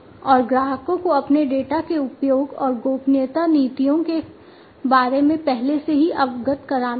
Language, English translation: Hindi, And the customers will have to be made aware beforehand about the usage of their data and the privacy policies